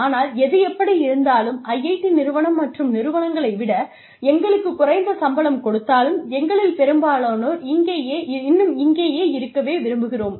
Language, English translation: Tamil, But, anyway, even if IIT paid us less salaries, many of us, would still stay here